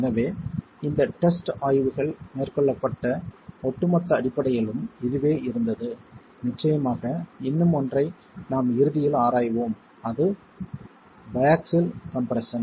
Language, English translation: Tamil, So, this was the overall basis with which the experimental investigations were carried out and of course there was one more which we will examine towards the end which is bi axial compression